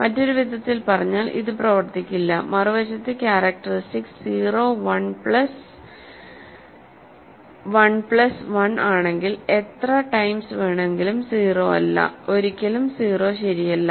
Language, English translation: Malayalam, In other words anything smaller it will not work, on the other hand if characteristic is 0 1 plus 1 plus 1 any number of times is not 0, is never 0 right